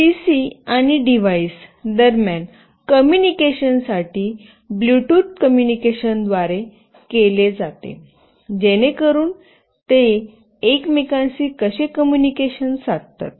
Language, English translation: Marathi, The communication between the PC and the device is done through Bluetooth communication that is how they communicate with each other